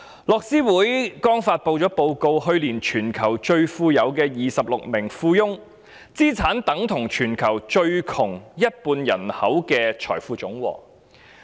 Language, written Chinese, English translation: Cantonese, 樂施會剛發布了一份報告，指出去年全球最富有的26名富翁的資產總值，已等同全球最窮一半人口的財富總和。, According to a report recently published by Oxfam last year the total assets owned by the 26 richest people in the world equal to the total wealth of half of the worlds poorest population